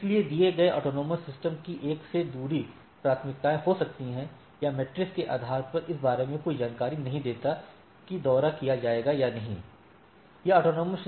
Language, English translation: Hindi, So, a given AS may have different priorities from another as or based on the matrix gives no information about the as that will be visited, right